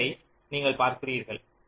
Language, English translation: Tamil, you see a, b